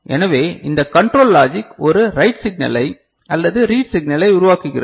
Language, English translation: Tamil, So, then this control logic is generating a write signal, right or a read signal